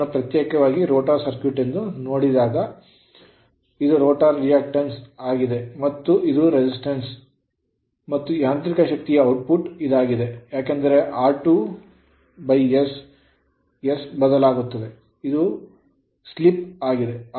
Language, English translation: Kannada, So, and this this is separated right this rotor circuit this part is separated this is actually rotor reactance and this is your resistance and rest this is whatever this part right this is actually mechanical power output because r 2 by s s is variable right so it is slip